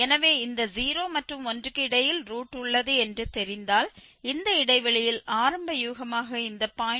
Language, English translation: Tamil, So, if we know that the root lies between this 0 and 1 so, if we choose this 0